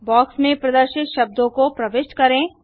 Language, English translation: Hindi, Enter the words displayed in the box